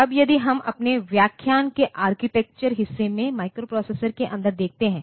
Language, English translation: Hindi, Now, if we look inside the microprocessor in our architecture discussion architecture portion of our lectures